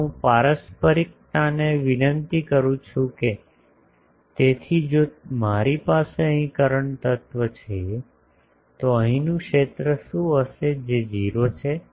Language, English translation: Gujarati, Now I invoke reciprocity so if I have a current element here, what will be the field here that is 0